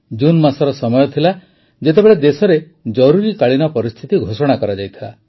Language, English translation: Odia, It was the month of June when emergency was imposed